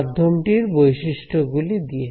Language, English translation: Bengali, By the medium properties